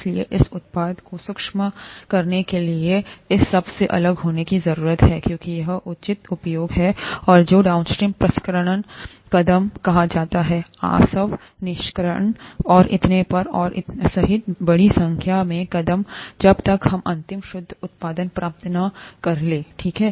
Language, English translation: Hindi, So, this product needs to be separated out from all this to be able, for it's proper use, and that is done by what are called the downstream processing steps, a large number of steps, including distillation extraction and so on and so forth, till we get the final purified product, okay